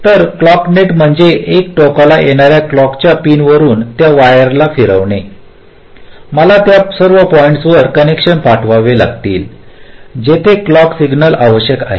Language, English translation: Marathi, from the clock pin which is coming at one end, i have to send the connections to all the points where clock signal is required